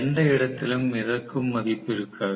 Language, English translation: Tamil, There will not be any floating value anywhere